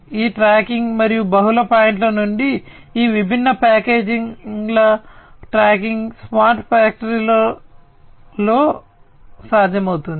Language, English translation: Telugu, So, all these tracking, and from multiple points tracking of these different packages would be possible in a smart factory